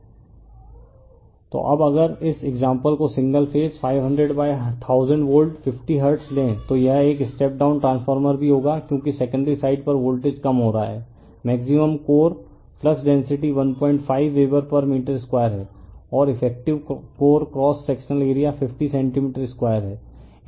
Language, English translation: Hindi, So, now if you take this example single phase 500 / 1000 volt 50 hertz then it will also a step down transformer because voltage is getting reduced on the secondary side has a maximum core flux density is 1